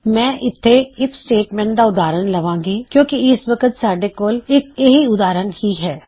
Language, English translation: Punjabi, Ill use an example of an if statement again because thats all I have got at the moment